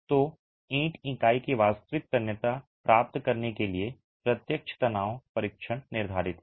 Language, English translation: Hindi, So, the direct tension test is prescribed to get the actual tensile strength of the brick unit